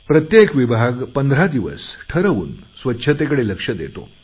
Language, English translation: Marathi, Each department is to focus exclusively on cleanliness for a period of 15 days